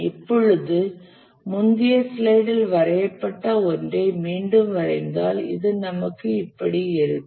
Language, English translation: Tamil, If we redraw the one that we had drawn in the previous slide, we will have this